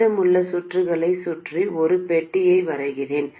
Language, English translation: Tamil, Let me draw a box around the rest of the circuit